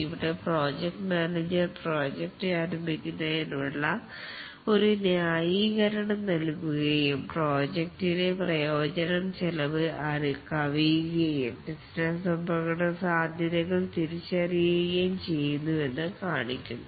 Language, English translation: Malayalam, Here the project manager provides a justification for starting the project and shows that the benefit of the project exceeds the costs and also identifies the business risks